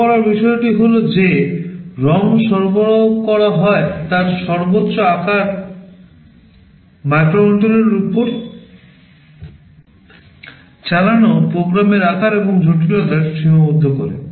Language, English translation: Bengali, The point to note is that the maximum size of the ROM that is provided limits the size and complexity of the program that you can run on the microcontroller